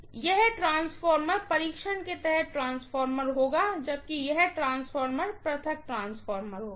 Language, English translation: Hindi, So, this transformer will be transformer under test, whereas this transformer will be isolation transformer, got it